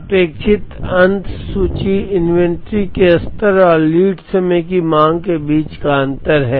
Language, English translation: Hindi, The expected ending inventory is the difference between the reorder level and the lead time demand